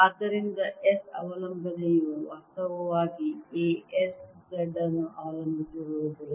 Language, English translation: Kannada, so the s dependence actually comes out to be a s z it doesn't depend on